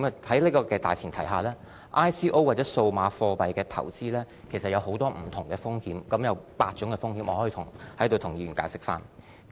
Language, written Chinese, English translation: Cantonese, 在這種大前提下 ，ICO 或數碼貨幣的投資其實有很多不同的風險，當中包括8種風險，我可以在此向議員解釋。, On this premise the investment related to ICOs or digital currencies actually involves various kinds of risks which can be divided into eight categories and I can give an explanation to Members here